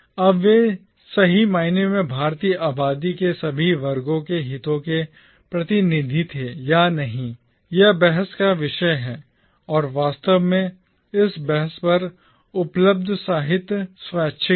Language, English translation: Hindi, Now whether they were truly representative of the interests of all the sections of Indian population or not is a matter of debate, and indeed the literature available on this debate is voluminous